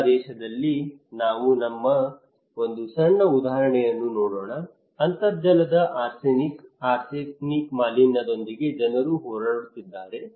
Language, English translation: Kannada, Let us look a small example here in Bangladesh; people are battling with arsenic, arsenic contamination of groundwater